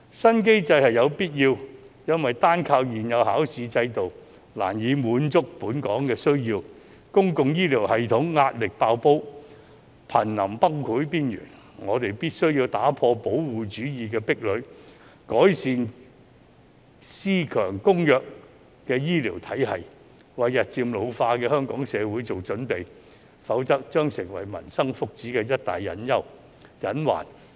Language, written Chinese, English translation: Cantonese, 新機制是有必要的，因為單靠現有的考試制度難以滿足本港的需求，公共醫療系統壓力"爆煲"，瀕臨崩潰邊緣，我們必須打破保護主義的壁壘，改善私強公弱的醫療體系，為日漸老化的香港社會做準備，否則將成為民生福祉的一大隱患。, A new mechanism is necessary because the existing examination system alone cannot meet the demands in Hong Kong and pushes the public healthcare system to the verge of collapse . We must break down the barriers of protectionism and improve the healthcare system comprising a strong private sector and weak public sector in preparation for the ageing Hong Kong society . Otherwise it will become a major hidden risk to the well - being of the people